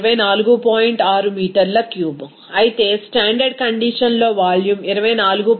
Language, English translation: Telugu, 6 meter cube, whereas at a standard condition that volume is coming 24